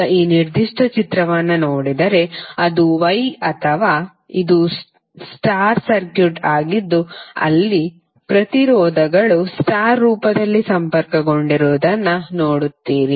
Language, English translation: Kannada, Now, if you see this particular figure, this is a Y or you could say, this is a star circuit where you see the resistances are connected in star form